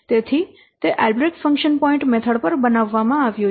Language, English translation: Gujarati, So it is built on work by Albreast Function Point method